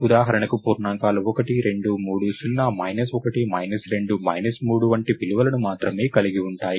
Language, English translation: Telugu, So, for example, integers can have only values like 1, 2, 3, 0, 1, 2, 3 and so, on